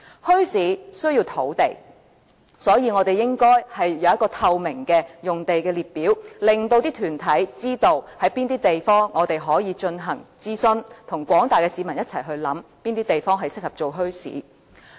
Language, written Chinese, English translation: Cantonese, 墟市需要土地，所以，我們應該有一個透明的用地列表，令團體知道哪裏可以進行諮詢，與廣大市民一起考慮哪些地方適合發展墟市。, The setting up of a bazaar needs lands . That is why a clear list of bazaar sites should be compiled so that organizations can know which sites are available . In this way they can initiate consultation and join hands with the general public to consider which sites are suitable for developing bazaars